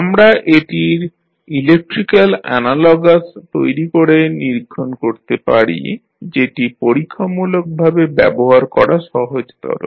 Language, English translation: Bengali, We can build and study its electrical analogous which is much easier to deal with experimentally